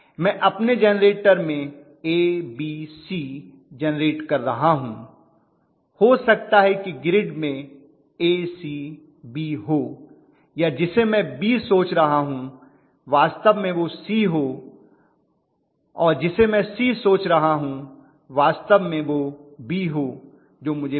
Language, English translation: Hindi, I may be generating ABC in my generator may be the grid is in A C B or I am thinking that what is my B may be actually C and what I am thinking as C may be actually B